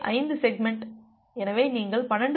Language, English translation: Tamil, 5 segment, so you can have 12